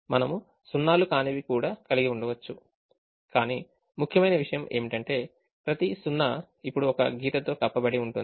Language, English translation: Telugu, they may have non zero also covered, but the important thing is, every zero is now covered by one line